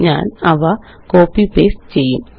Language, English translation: Malayalam, I will copy and paste them